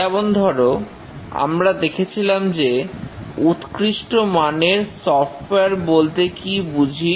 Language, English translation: Bengali, For example, we discussed what is a quality software software